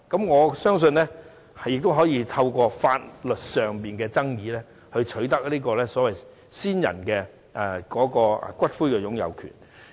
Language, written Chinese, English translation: Cantonese, 我相信可透過提出法律上的爭議取得先人的骨灰擁有權。, I believe one may secure ownership of a deceaseds ashes through filing a legal claim